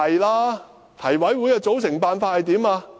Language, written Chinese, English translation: Cantonese, 提名委員會的組成辦法為何？, How is the Election Committee formed?